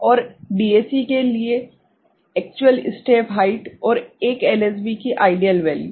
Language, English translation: Hindi, And for DAC the actual step height and ideal value of 1 LSB ok